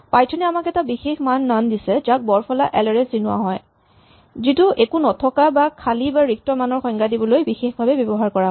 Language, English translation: Assamese, So, Python provides us with a special value called None with the capital N, which is the special value used to define nothing an empty value or a null value